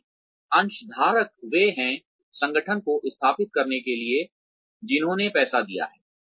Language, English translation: Hindi, Because, the shareholders are the ones, who have given the money, to set up the organization